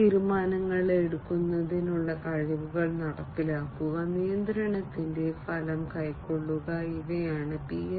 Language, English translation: Malayalam, And enforcing the capabilities of decision making, and taking result of the control, these are the different important considerations, in the management aspect of PLM